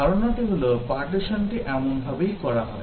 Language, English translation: Bengali, The idea is that, the partitioning is done such that